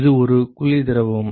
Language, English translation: Tamil, It is the is a cold fluid